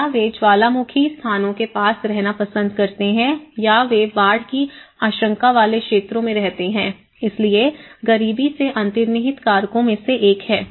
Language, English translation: Hindi, Or they tend to stay near volcanic places or they tend to fear live near the flood prone areas, so that is how the poverty is also one of the underlying factor